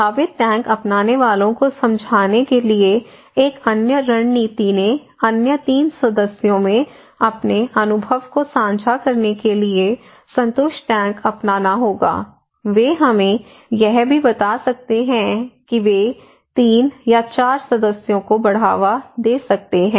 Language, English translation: Hindi, Another strategy to convince potential tank adopters would have satisfied tank adopters to share their experience into other 3 members okay, they can also tell us that the 3 or 4 members they can promote